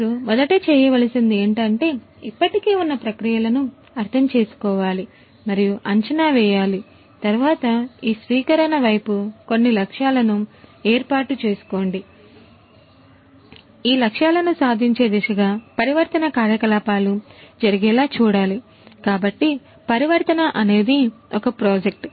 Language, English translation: Telugu, You first understand you need to understand and assess their existing processes, then set up some target objectives towards this adoption, set up these target objectives and then transformation activities will have to take place